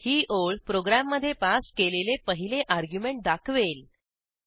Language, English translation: Marathi, This line will display the 1st argument passed to the program